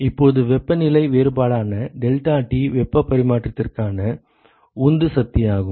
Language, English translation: Tamil, Now where deltaT which is the temperature difference is the driving force for heat transfer